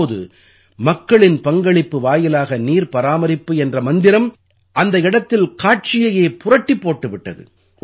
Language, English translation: Tamil, Now this mantra of "Water conservation through public participation" has changed the picture there